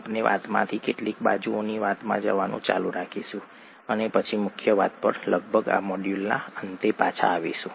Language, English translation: Gujarati, We will keep going off track from the story into some side stories and then come back to the main story, pretty much at the end of this module